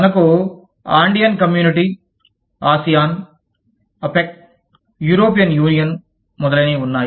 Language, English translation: Telugu, we have the, Andean Community, ASEAN, APEC, European Union, etcetera